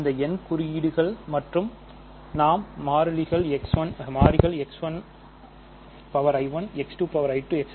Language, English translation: Tamil, These n indices and we will have the variables will be X 1 i 1 X 2 i 2 X n i n